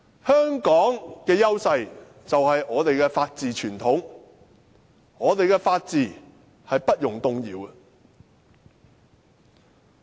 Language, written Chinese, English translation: Cantonese, 香港的優勢，便是我們的法治傳統，我們的法治是不容動搖的。, The edge of Hong Kong is our long - standing rule of law . Our rule of law is not to be shaken